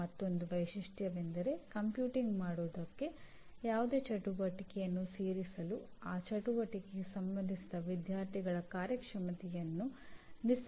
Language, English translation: Kannada, And another feature is for again for this aggregation any activity to be included for computing attainment, the performance of the students related to that activity should be unambiguously measurable